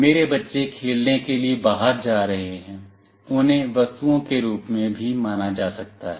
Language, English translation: Hindi, My children are going outside for playing, they can also be treated as objects